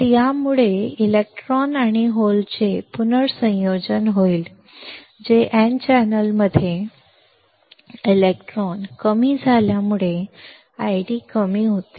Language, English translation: Marathi, So, this will result in recombination of electrons and holes that is electron in n channel decreases causes I D to decrease